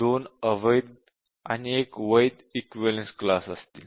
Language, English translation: Marathi, So, what will be the invalid equivalence class